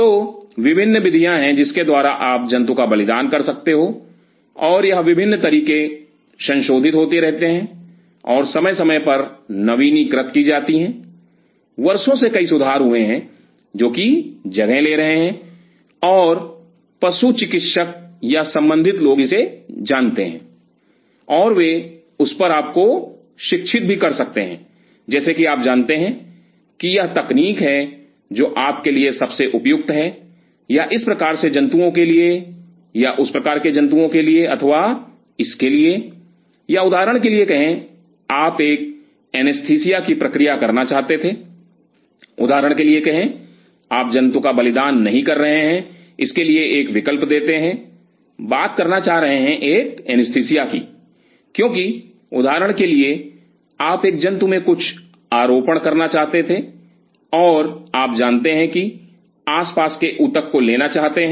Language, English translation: Hindi, So, there are different modes by which you can sacrifice the animal, and these different techniques are getting revised and updated from time to time, through the years there are several improvisations which are taking place and the veterinarians or people concerned or aware of it, and they can literate you on that that you know this is the technique which is best suited for you or for this kind of animal or that kind of animal or this kind of or say for example, you wanted to do an anesthesia say for example, you are not sacrificing the animal let us put an alternative you want to do is an anesthesia because say for example, you wanted to implant something in an animal and you know you want to take the surrounding tissue